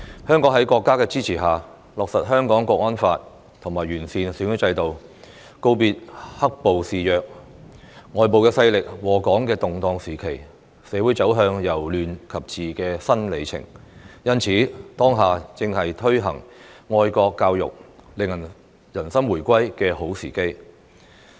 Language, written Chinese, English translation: Cantonese, 香港在國家的支持下，落實《香港國安法》和完善選舉制度，告別"黑暴"肆虐、外部勢力禍港的的動盪時期，社會走向由亂及治的新里程，因此，當下正是推行愛國教育，令人心回歸的好時機。, With the support of our country Hong Kong has implemented the Hong Kong National Security Law and improved the electoral system leaving behind the turbulent period when black - clad violence ran rampant and external forces were bringing disaster to Hong Kong . Society has moved from chaos to governance and entered a new era . As such it is high time now to implement patriotic education to win peoples hearts and minds